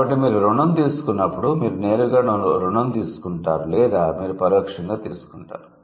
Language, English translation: Telugu, So, when you borrow, either you borrow it directly or you do it indirectly